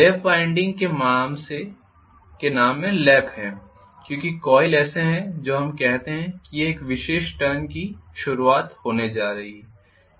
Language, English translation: Hindi, The lap winding has the name of Lap because the coils are such that let us say this is going to be the beginning of a particular turn